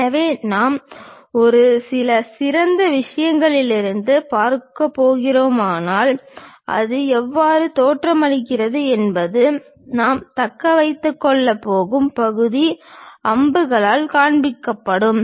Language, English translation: Tamil, So, if we are looking from a top few thing, the way how it looks like is the part whatever we are going to retain show it by arrows